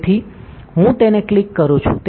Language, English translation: Gujarati, So, I am clicking it